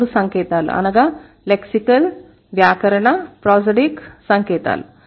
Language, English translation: Telugu, These three signs, lexical, grammatical and prosodic signs